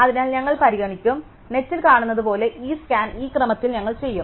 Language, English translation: Malayalam, So, we will consider, we will do this scan in this order as we will see in the net